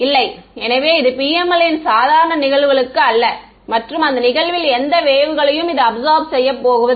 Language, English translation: Tamil, So, this PML is not for normal incidence this is this is going to absorb any wave that is incident on it